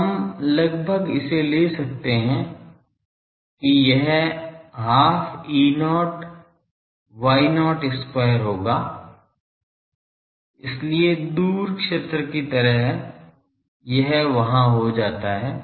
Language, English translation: Hindi, So, we can almost take it that it will be half Y not E square E, E not square; so, just like far field it becomes there